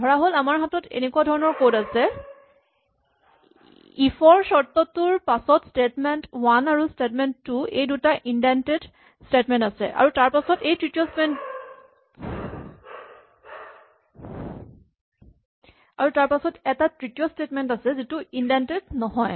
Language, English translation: Assamese, Suppose, we have code which looks as follows; we have if condition then we have two indented statements statement 1 and statement 2, and then we have a third statement which is not indented